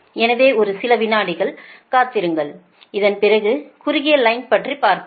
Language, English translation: Tamil, so let us start with, after this, that short line thing